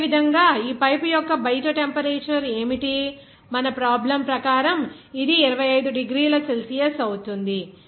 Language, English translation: Telugu, Similarly, what would be the outside temperature of this pipe, it will be 25 degrees Celsius as per your problem